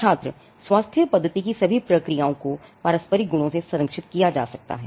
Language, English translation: Hindi, Student: Then the medical therapy is all process of procedures can be protected to mutual properties